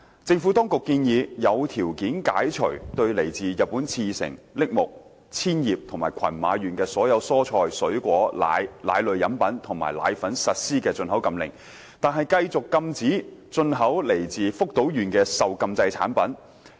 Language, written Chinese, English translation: Cantonese, 政府當局建議，有條件解除對來自日本茨城、栃木、千葉及群馬縣的所有蔬菜、水果、奶、奶類飲品及奶粉實施的進口禁令，但繼續禁止進口來自福島縣的受禁制產品。, The Administration proposed to lift the import ban on all vegetables fruits milk milk beverages and dried milk from four prefectures of Japan namely Ibaraki Tochigi Chiba and Gunma with conditions while continuing to prohibit the import of banned products from Fukushima